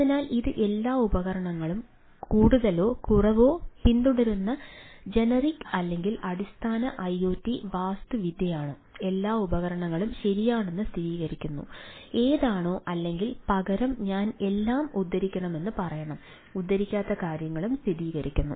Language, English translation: Malayalam, so this is, this is broadly the generic or basic iot architecture which more or less all devices follows, right, ah, all, all, all devices confirm to ah that whichever, or rather that i should say all things, quote unquote things confirm to